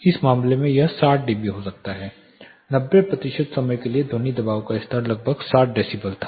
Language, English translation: Hindi, In this case it could be like say 60 dB, for 90 percent of the time the sound pressure level was around 60 decibels